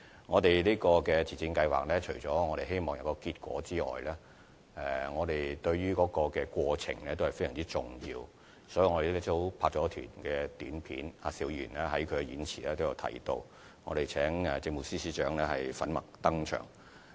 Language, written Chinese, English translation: Cantonese, 我們希望自薦計劃取得成果外，對過程也十分重視，所以我們拍攝了一輯短片，而邵議員在演辭中亦有提到，我們更邀請政務司司長在短片中粉墨登場。, Apart from hoping that the self - recommendation scheme will bear fruit we also take the process very seriously . This is why we have filmed an Announcement of Public Interest API as mentioned by Mr SHIU in his speech and even invited the Chief Secretary for Administration to appear in it